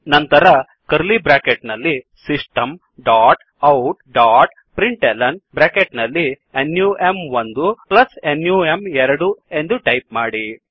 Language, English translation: Kannada, Then within curly brackets System dot out dot println num1 plus num2